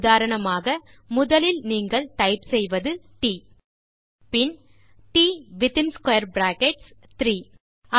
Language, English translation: Tamil, For example, First you must type t Then type t within square brackets 3